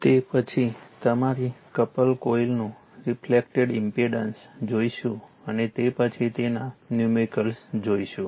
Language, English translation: Gujarati, So, next will see the reflected impedance right up to mutually your couple coil and after that will see that numericals